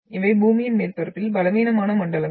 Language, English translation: Tamil, But these are the weak zones on the earth’s surface